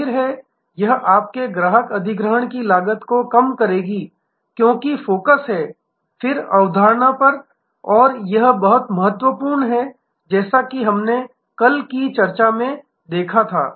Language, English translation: Hindi, Obviously, this will reduce your customer acquisition cost, because the focus is, then on retention and that is very important as we saw in the yesterday's discussion